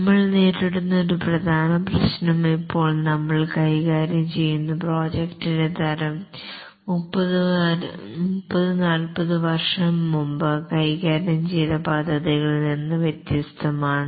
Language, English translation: Malayalam, And one of the main problem that is being faced is that the type of project that are being handled are different from those that were handled 30, 40 years back